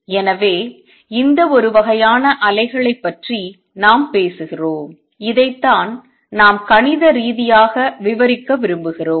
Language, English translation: Tamil, So, this is a kind of waves we are talking about and this is what we want to describe mathematically